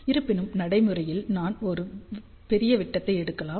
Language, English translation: Tamil, However, in practice we may take a larger diameter